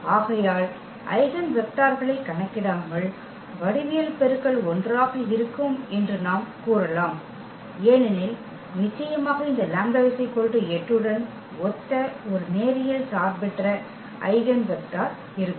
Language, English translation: Tamil, So, without calculation of the eigenvectors as well we can claim that the geometric multiplicity will be 1, because definitely there will be one linearly independent eigenvector corresponding to this lambda is equal to 8